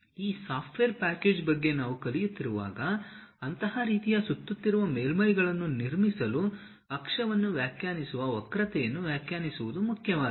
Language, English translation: Kannada, When we are going to learn about this software package some of the things like defining an axis defining curve is important to construct such kind of revolved surfaces